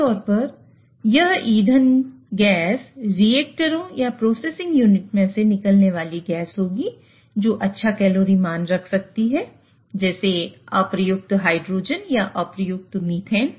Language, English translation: Hindi, Typically, this fuel gas will be an off gas from one of the reactors or some of the processing unit which may have some rich caloric value like unreacted hydrogen or unreacted methane